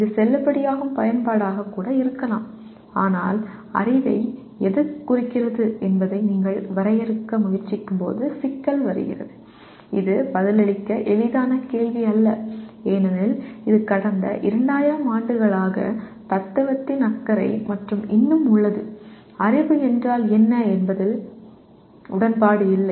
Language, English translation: Tamil, May be many times it is valid use of the word but the problem comes when you try to define what constitutes knowledge and this is not an easy question to answer because that is the concern of the philosophy for the last 2000 years and yet there has been no agreement on what is knowledge